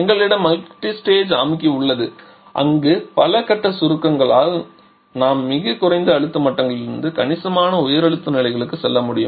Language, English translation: Tamil, We have multi stage compressor where by several stages of compression we can we can move from extremely low pressure levels to significantly high pressure levels as well